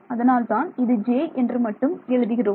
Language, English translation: Tamil, So, that is why it is just j yeah